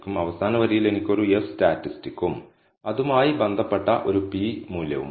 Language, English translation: Malayalam, At the last line I have an F statistic and a corresponding p value associated with it